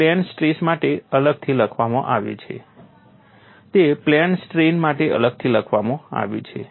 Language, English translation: Gujarati, It is separately written for plane stress, this separately written for plane strain